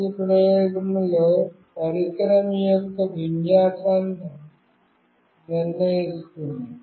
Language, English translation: Telugu, In the first experiment will determine the orientation of the device